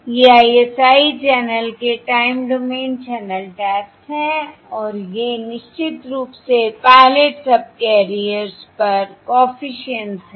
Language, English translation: Hindi, These are the time domain channel taps of the ISI channel and these are, of course, the coefficients on the pilot subcarriers